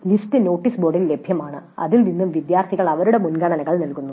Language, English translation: Malayalam, The list is available in the notice board and from that students give their preferences